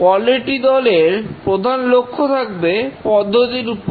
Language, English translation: Bengali, The major focus of the quality team should be on the process